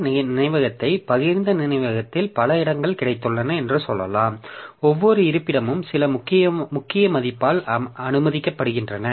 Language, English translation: Tamil, So, we have got this shared memory divided into, say, suppose I have got a number of locations in the shared memory, and each location is accessed by some key value